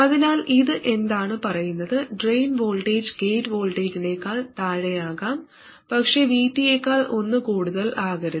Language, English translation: Malayalam, The drain voltage can go below the gate voltage but not by more than one VT